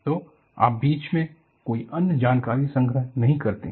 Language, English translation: Hindi, So, you do not record any other information in between